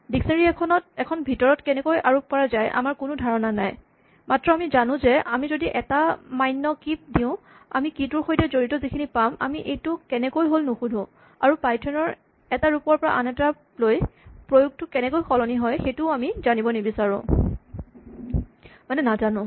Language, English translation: Assamese, We have no idea actually how dictionaries implemented inside, but what we do know is that if we provide a key and that key is a valid key we will get the associated with that key, we do not ask how this is done and we do not know whether from one version of python to the next the way in which this is implemented changes